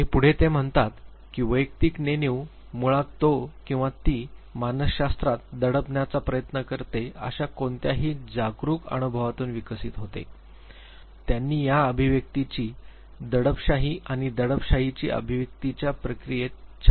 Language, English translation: Marathi, And he says that personal unconscious basically develops out of any of the individuals conscious experiences which he or she tries to repress in psychology you would find very nice explanation of the process of expression suppression and repression expression